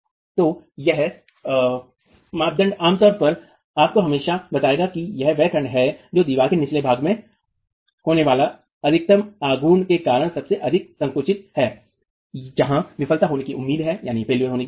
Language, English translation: Hindi, So, this criterion typically will always tell you that it is the section that is most compressed because of the maximum moment occurring at the bottom of the wall is where the failure is expected to occur